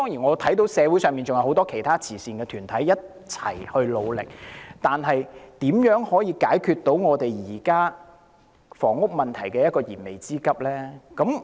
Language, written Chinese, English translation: Cantonese, 我看到社會上還有很多其他慈善團體正在一起努力，但如何能夠解決現時房屋問題的燃眉之急呢？, I can see that many other charitable organizations in the community are working hard together but how can the existing and urgent housing problem be solved?